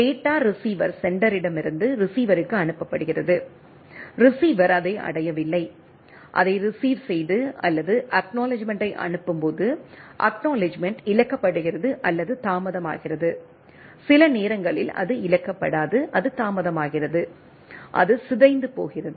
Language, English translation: Tamil, The data is sent from the receiver sender to the receiver, receiver does not reach it, received it or while sending the acknowledgement, acknowledgement is lost or delayed sometimes it is not lost, it is delay it corrupted and type of things come up into the things